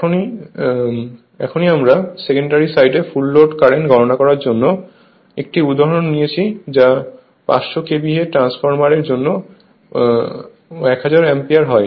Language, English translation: Bengali, Just now we took 1 example to compute the full load current on the secondary side that is 500 KVA transformer we got 1000 ampere just now we did we do 1 problem